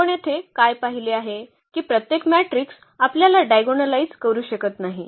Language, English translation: Marathi, So, what we have seen here that every matrix we cannot diagonalize